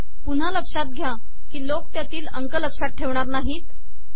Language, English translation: Marathi, Once again people are not going to remember these numbers